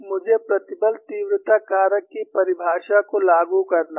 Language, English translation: Hindi, I have to invoke the definition of stress intensity factor